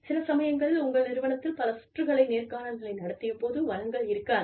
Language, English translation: Tamil, Sometimes, your organization may not have the resources, to conduct several layers of interviews